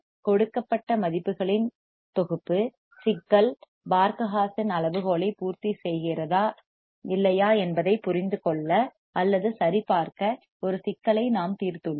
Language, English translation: Tamil, And we have also solved a problem to understand or verify whether the problem the given set of values the problem satisfies the Barkhausen criterion or not right